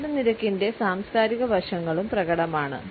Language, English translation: Malayalam, The cultural aspects in the rate of speech are also apparent